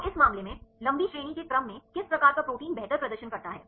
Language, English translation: Hindi, So, in this case, which type of which class of proteins perform better with long range order